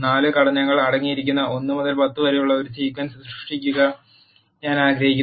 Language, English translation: Malayalam, I want to generate a sequence from 1 to 10 which contains the 4 elements